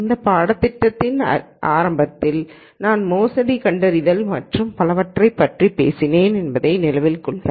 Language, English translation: Tamil, Remember at the beginning of this course I talked about fraud detection and so on